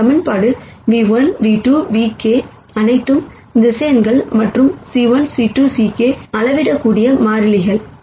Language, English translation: Tamil, Notice in this equation nu 1 nu 2 nu k are all vectors, and c 1 c 2 c k are scalar constants